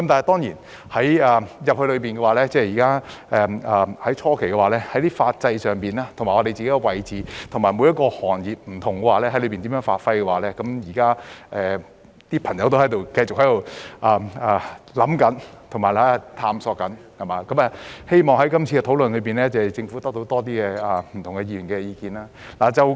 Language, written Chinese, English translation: Cantonese, 當然，在初期進入大灣區時，有關法制、我們的位置及各行各業在當中如何發揮，現時很多朋友仍在思考及探索，希望政府可以在今次的討論得到更多不同議員的意見。, Of course in the early days of our entry to GBA many people are still thinking and exploring the legal system our position and how industries and trades can exert themselves there . I hope that the Government can have the views of different Members in this discussion